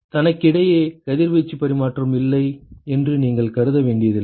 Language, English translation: Tamil, You do not have to assume that there is no radiation exchange between itself